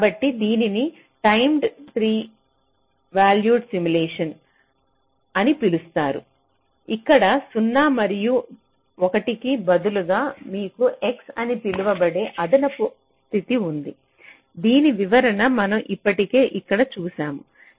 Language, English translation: Telugu, so this is referred to as timed three valued simulation, where instead of zero and one you have an additional state called x, whose interpretation we have already seen here